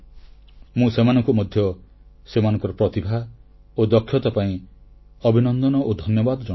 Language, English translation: Odia, I congratulate and thank those persons for their talent and skills